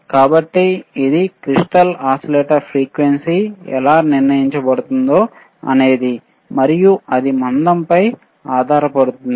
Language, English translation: Telugu, So, this is how the crystal frequency crystal oscillator frequency is determined and it has to depend on the thickness